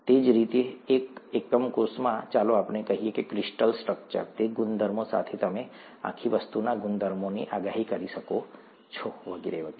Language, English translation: Gujarati, Same way that a unit cell in, in let’s say crystal structure, the properties, with those properties you could predict properties of the whole thing, and so on so forth